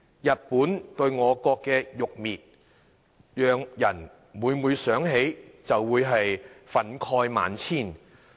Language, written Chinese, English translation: Cantonese, 日本對我國的辱衊，讓人每每想起，就會憤慨萬千。, The humiliation of our country by Japan often arouses great indignation when we think of it